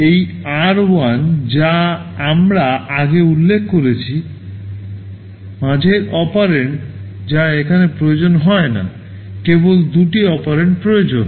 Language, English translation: Bengali, This r1 which we are mentioning earlier, the middle operand that is not required here, only two operands are required